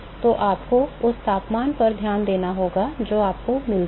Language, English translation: Hindi, So, you have to pay attention to the temperature that you get